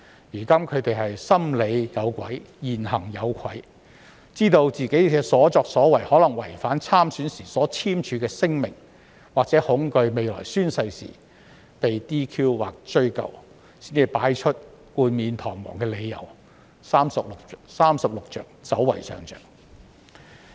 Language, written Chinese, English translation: Cantonese, 現在，他們"心理有鬼，言行有愧"，知道自己的所作所為可能違反參選時簽署的聲明，或恐懼未來宣誓時會被 "DQ" 或追究，才提出冠冕堂皇的理由，"三十六着，走為上着"。, Now they have a guilty conscience and are ashamed of their words and deeds . Knowing that what they have done may violate the declaration they signed when they stood for election or fearing that they may be DQ disqualified or held accountable when they take an oath in the future they have no choice but to give high - sounding reasons and retreat which is the best stratagem in the Thirty - Six Stratagems